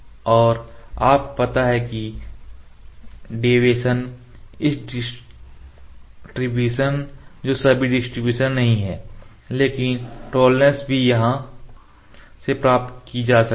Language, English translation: Hindi, Then upload and there is you know this the deviation this distribution not exactly distribution, but the tolerance is can also be obtained from here